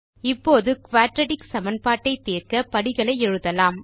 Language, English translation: Tamil, Let us now write the steps to solve a Quadratic Equation